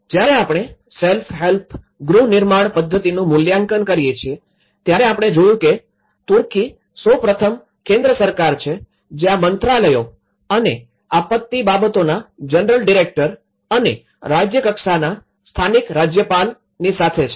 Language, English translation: Gujarati, When we assess the self help housing reconstruction method, we see that in Turkey first of all the central government which these ministries and the general director of disaster affairs and with the local governor of the state level, they look at the 3 different options